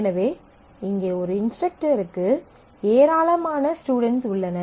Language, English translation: Tamil, And an instructor may have several students